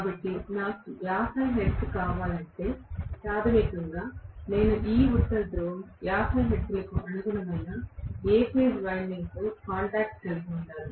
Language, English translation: Telugu, So, if I want is 50 hertz, basically I should also have these North Pole coming into contact with A phase winding corresponding to 50 hertz